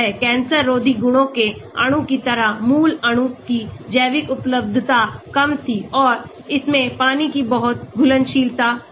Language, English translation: Hindi, The original molecule like anti cancer property molecule had poor bio availability and it had very poor water solubility